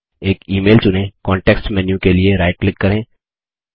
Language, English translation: Hindi, Select an email, right click for the context menu Check all the options in it